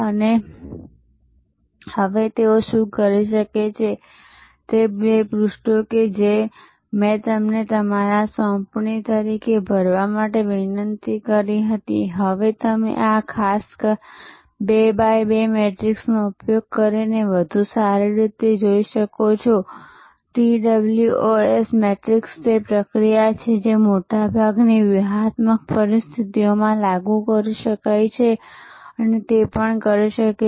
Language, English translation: Gujarati, And what can they do now that, those two pages that I requested you to fill up as your assignment you can now do better by using this particular 2 by 2 matrix the TOWS matrix it is process can be applied to most strategic situations and can also give us excellent indicators for developing for a good tactical plan